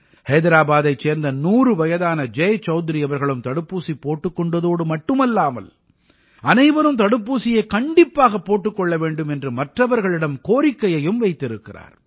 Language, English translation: Tamil, 100 year old Jai Chaudhary from Hyderabad has taken the vaccine and it's an appeal to all to take the vaccine